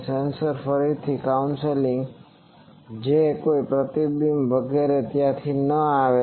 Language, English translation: Gujarati, These sensors are again council so that no reflections etc